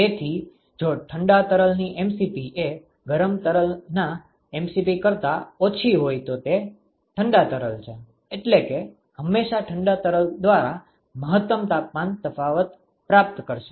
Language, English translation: Gujarati, So, if the mdot Cp of the cold fluid is less than the mdot Cp of the hot fluid then it is the cold fluid which will always achieve the maximal temperature difference, by cold fluid for this example